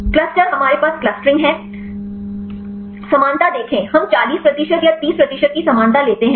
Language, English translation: Hindi, Cluster we have the clustering; see similarity we take the similarity of 40 percent or 30 percent